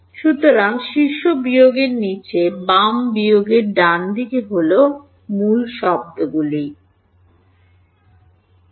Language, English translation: Bengali, So, top minus bottom left minus right these are the keywords alright